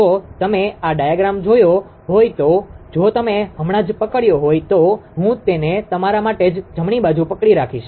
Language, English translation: Gujarati, If you if you have seen this diagram if you have just just hold on from that I will I will make it for you just hold on right